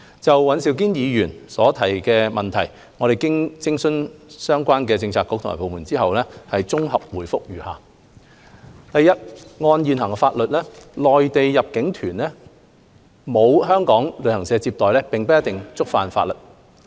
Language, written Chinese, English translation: Cantonese, 就尹兆堅議員的質詢，經諮詢相關政策局及部門後，我現綜合答覆如下：一按現行法例，內地入境旅行團沒有香港旅行社接待，並不一定觸犯法例。, Having consulted the relevant Policy Bureaux and departments I will give a consolidated reply to the question raised by Mr Andrew WAN as follows 1 According to present laws and regulations Mainland inbound tour groups without being received by Hong Kong travel agents might not contravene the laws and regulations